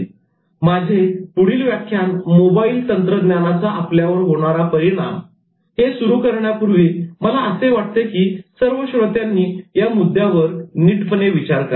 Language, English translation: Marathi, Before I started the next lecture on mobile technology and how it is affecting us, I wanted the audience to think over this point